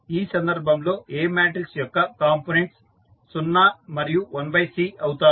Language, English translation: Telugu, So, the components of A matrix will be 0 and 1 by C, in this case